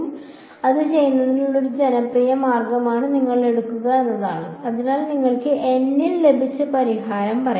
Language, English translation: Malayalam, So, one popular way of doing it is that you take your so let us say your solution that you got at resolution N